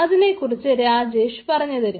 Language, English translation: Malayalam, that to what rajesh we will show